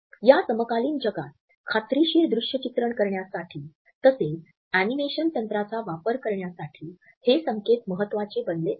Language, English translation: Marathi, And these cues have become an important basis for creating convincing visuals as well as creating animations in our contemporary world